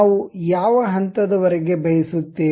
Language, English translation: Kannada, Up to which level we would like to have